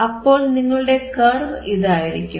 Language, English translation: Malayalam, That you have this instead of this kind of curve